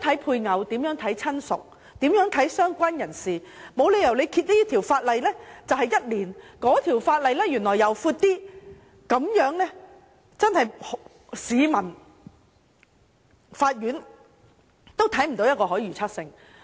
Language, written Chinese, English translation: Cantonese, 配偶、親屬和"相關人士"的定義應保持一致，這條法例規定一年，另一條法例年期就長一些，這樣是不合理的，對市民、法院都缺乏可預測性。, Likewise the definitions of spouse relative and related person should be consistent . It is unreasonable for the period stated in this piece of legislation to be one year and a bit longer in another piece of legislation for members of the public and the Courts will find it unpredictable